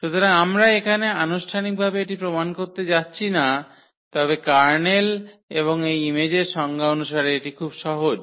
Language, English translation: Bengali, So, we are not going to formally prove this here, but this is very simple as per the definition of the kernel and this image